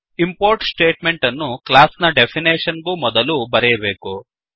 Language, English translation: Kannada, The import statement is written before the class definition